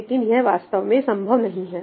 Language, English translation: Hindi, But that is not practical, okay